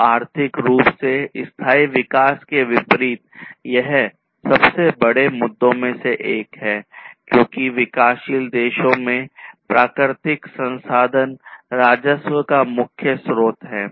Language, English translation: Hindi, So, this is one of the biggest issues, in contrast, to economically sustainable development as natural resources are the main source of revenue in developing countries